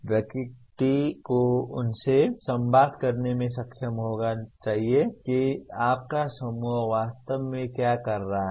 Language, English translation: Hindi, One should be able to communicate to them what exactly your group is doing